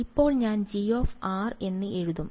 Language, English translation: Malayalam, Now I will just write G of r